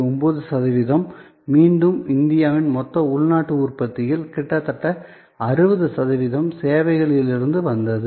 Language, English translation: Tamil, 9 percent again almost 60 percent of India’s GDP came from services